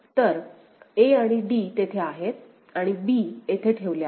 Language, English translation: Marathi, So, a and d are there and b is put over here right